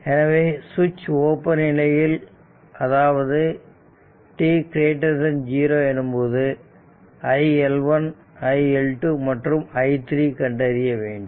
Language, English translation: Tamil, So, the switch is opened at t greater than 0 and determine iL1 iL2 and iL3 for t greater than 0